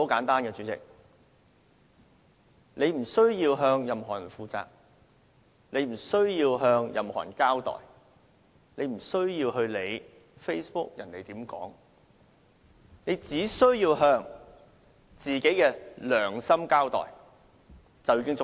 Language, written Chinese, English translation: Cantonese, 大家無須向任何人負責、無須向任何人交代、無須理會別人在 Facebook 上怎樣說，大家只須向自己的良心交代便已足夠。, We need not be responsible to anyone; we need not explain it to anyone; and we need not care about what other people say on Facebook . We need only be accountable to our conscience and that should suffice